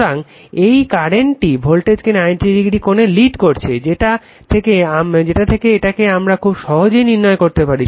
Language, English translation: Bengali, So, this current is leading the voltage by 90 degree from this from this we can make it out easily right